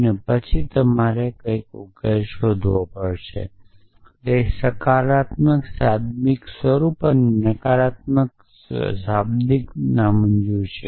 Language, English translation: Gujarati, And then you have to look for something verses and it is negation of a positive literal and negation negative literal